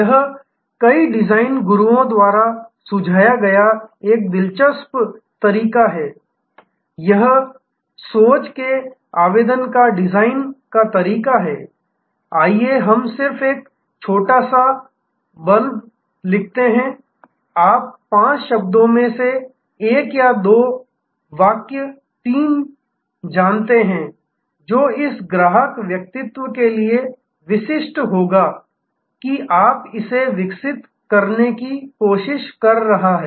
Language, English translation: Hindi, This is an interesting way of also suggested by many design gurus is that design way of thinking application, let us just write a small blurb, you know one or two sentence 3 of 5 words, which will be typical for this customer persona that you are trying to develop